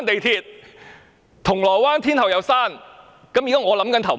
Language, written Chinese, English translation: Cantonese, 銅鑼灣站、天后站一併關閉？, Will Causeway Bay Station and Tin Hau Station be closed as well?